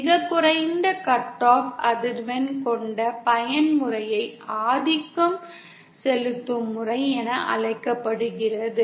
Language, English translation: Tamil, The mode that has the lowest cut off frequency is called the dominant mode